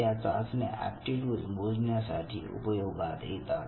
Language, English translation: Marathi, They have developed several tests to measure these aptitudes